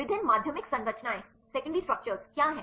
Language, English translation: Hindi, What are different secondary structures